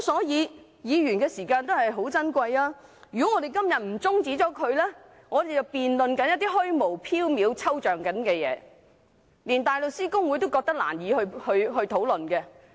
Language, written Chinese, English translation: Cantonese, 議員的時間也很寶貴，如果我們今天不中止辯論，就得辯論一些虛無縹緲、抽象的事情，連大律師公會都覺得難以討論。, Time is valuable to Members too . If we do not adjourn the debate today we will have to debate some illusory and abstract matters which even HKBA found difficult to discuss